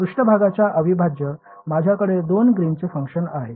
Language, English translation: Marathi, In the surface integral, I have two Green’s function